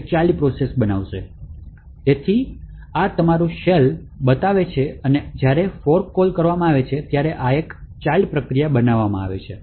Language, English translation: Gujarati, So, this predictor trail shows your shell and when the fork system calls get created is, at child process gets created